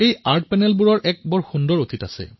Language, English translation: Assamese, These Art Panels have a beautiful past